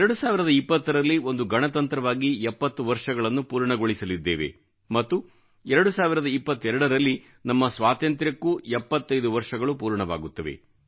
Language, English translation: Kannada, In the year 2020, we shall complete 70 years as a Republic and in 2022, we shall enter 75th year of our Independence